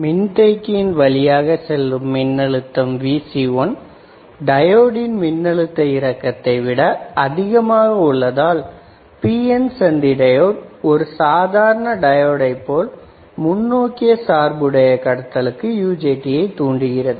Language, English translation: Tamil, So, when the voltage across this capacitor Vc1, this one becomes greater than the diode voltage drop the PN junction behaves as normal diode and becomes forward biased triggering UJT into conduction, right